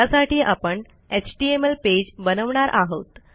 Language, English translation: Marathi, Basically,Im going to create an HTML page